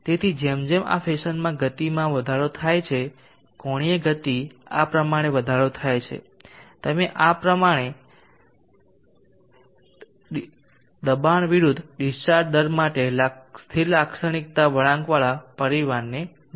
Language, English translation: Gujarati, angular speed is increased in this fashion you will see the family of static characteristic curve is going to be pressure versus discharge rate in this fashion